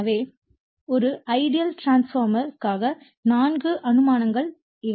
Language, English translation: Tamil, So, these are the 4 assumptions you have made for an ideal transformer